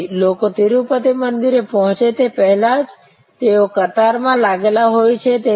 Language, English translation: Gujarati, So, people even before they get to the Tirupati temple, they are in the queue complex